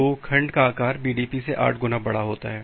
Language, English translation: Hindi, So, the segment size is eight times larger than the BDP